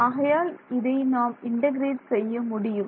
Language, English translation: Tamil, So, does this look like an integral that I can do